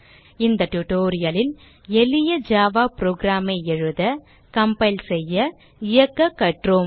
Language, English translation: Tamil, So in this tutorial, we have learnt to write, compile and run a simple java program